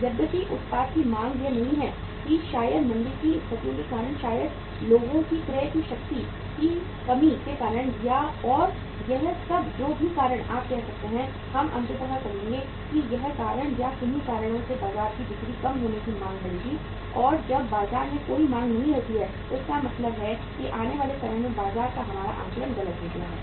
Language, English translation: Hindi, Whereas the demand for the product is not there that maybe because of the recessionary situations, maybe because of the say uh lack of the purchasing power of the people and this all maybe whatever the reason you could say, we would ultimately say that all these reasons or any of the reasons would attribute to the reduced sales uh reduced demand from the market and when there is no demand in the market it means our assessment of the market in the time to come has gone wrong